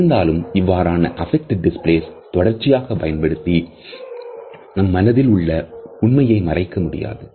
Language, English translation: Tamil, However, we cannot continuously use these affect displays to hide the true intention of our heart